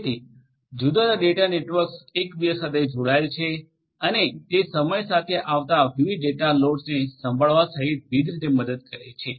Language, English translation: Gujarati, So, different data centres will be connected to one another and that will help in different ways including handling the varying data loads that are going to come over time